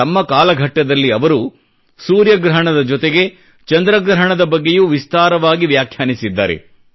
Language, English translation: Kannada, During his career, he has expounded in great detail about the solar eclipse, as well as the lunar eclipse